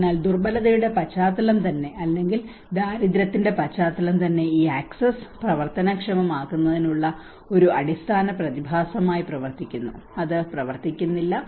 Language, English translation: Malayalam, So vulnerability context itself or the poverty context itself acts as an underlying phenomenon on to making these access work and do not work